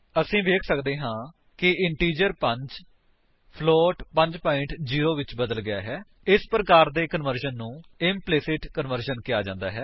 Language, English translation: Punjabi, We can see that the integer 5 has been converted to float 5.0 This type of conversion is called implicit conversion